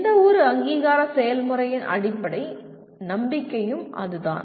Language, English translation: Tamil, That is the underlying belief of any accreditation process